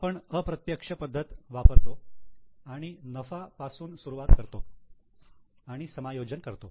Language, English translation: Marathi, We use indirect method starting from profit we do adjustments